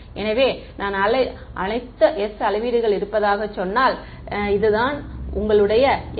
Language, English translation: Tamil, So, if I call that say m m measurements, that is your s